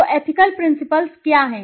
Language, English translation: Hindi, So, what are the ethical principles